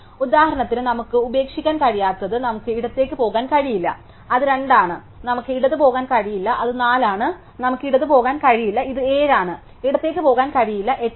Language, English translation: Malayalam, So, which we cannot to left for example, we cannot go left it 2, we cannot go left it 4, we cannot go left it 7, cannot go left it 8